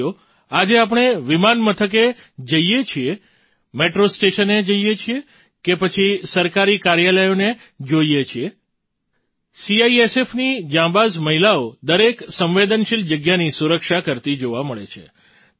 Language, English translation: Gujarati, Friends, today when we go to airports, metro stations or see government offices, brave women of CISF are seen guarding every sensitive place